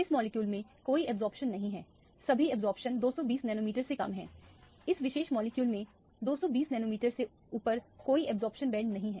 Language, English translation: Hindi, This molecule does not have any absorption, all the absorption is less than 220 nanometer, there are no absorption bands above 220 nanometers in this particular molecule